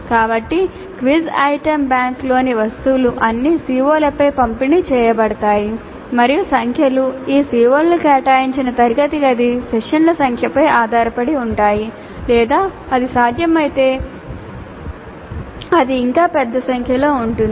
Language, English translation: Telugu, So the items in the quiz item bank are to be distributed over all the Cs and the numbers can depend upon the number of classroom sessions devoted to those COs or it can be even larger number if it is possible